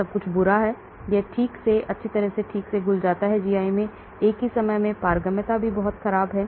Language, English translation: Hindi, Everything is bad it does not dissolve properly or nicely in the GI at the same time permeability is also very poor